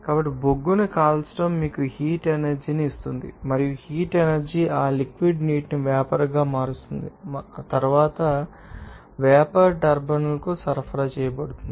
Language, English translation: Telugu, So, burning of coal will give you the heat energy and that heat energy will convert that liquid water to steam and then the steam to be you know supplied to the turbine